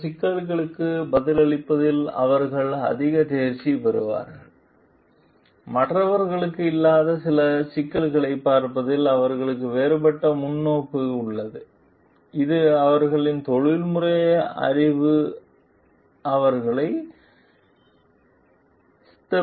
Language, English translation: Tamil, They are more proficient in responding to certain issues, they have a different perspective of looking in certain issues which the others may not have, which their professional knowledge equips them with